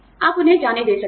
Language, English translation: Hindi, You can let them go